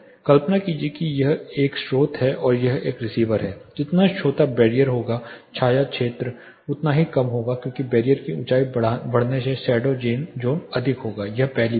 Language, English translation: Hindi, Imagine this is a source and this is a receiver the shorter the barrier the shadow zone will be much lesser as the barrier height increases the shadow zone will be more, this is the first thing